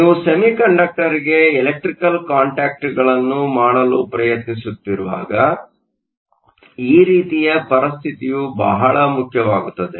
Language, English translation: Kannada, So, This kind of a situation is very important when you are trying to make electrical contacts to a semiconductor